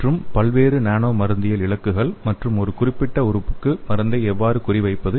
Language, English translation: Tamil, And various nano pharmacological targets and also how to target the drug to a particular organ